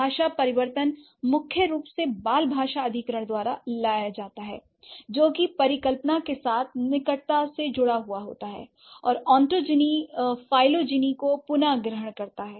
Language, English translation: Hindi, Language change is primarily brought about by child language acquisition, which has been closely tied to the hypothesis that ontogeny recapitulates phylogeny